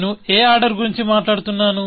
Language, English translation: Telugu, What order am I talking about